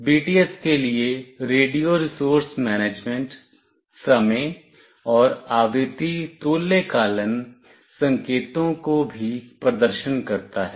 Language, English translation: Hindi, And it also performs radio resource management, time and frequency synchronization signals to BTS